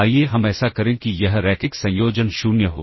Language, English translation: Hindi, Let us such that this linear combination is 0